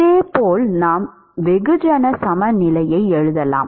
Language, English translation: Tamil, Similarly we can write mass balance